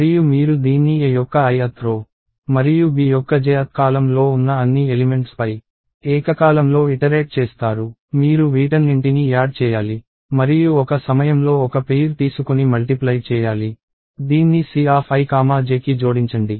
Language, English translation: Telugu, And you do this by iterating over all the elements in the i th row of A and j th column of B simultaneously; you have to do this together and take one pair at a time and multiply; add it to c of i comma j